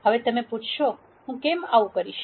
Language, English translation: Gujarati, Now, you might ask; why would I do something like that